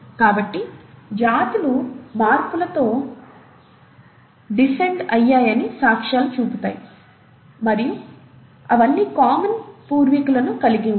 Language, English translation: Telugu, So, species show evidence of descent with modification, and they all will have common ancestor